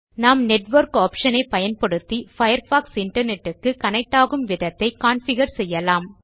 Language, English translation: Tamil, We can also configure the way Firefox connects to the Internet using the Network option